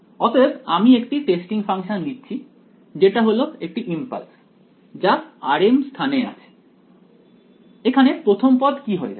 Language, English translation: Bengali, So, I am taking one testing function which is an impulse located at r m first term over here what happens to the first term